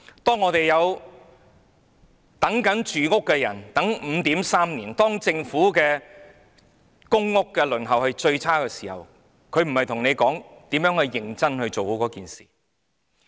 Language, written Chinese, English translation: Cantonese, 當等待入住公屋的人要等 5.3 年，當輪候公屋的時間是最長的時候，政府並非與你討論如何認真地解決問題。, When people waiting to move into public housing have to wait 5.3 years and the waiting time for public housing has hit an all - time high the Government is not discussing with you how to solve the problem in earnest